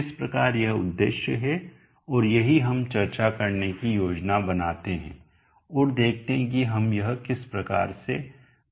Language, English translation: Hindi, So that is the objective and that is what we plan to discuss and see how we go about doing that